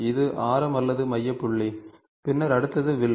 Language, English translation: Tamil, This is the radius or the centre point ok, and then the next one is the arc